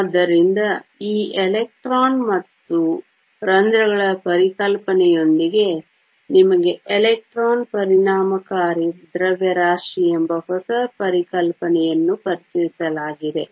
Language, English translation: Kannada, So, along with this concept of electrons and holes, you are also introduced a new concept called electron effective mass